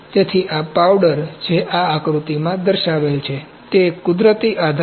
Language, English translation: Gujarati, So, this powder this powder that is shown in this figure is a natural support